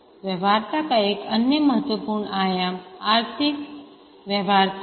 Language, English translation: Hindi, Another important dimension of the feasibility is the economic feasibility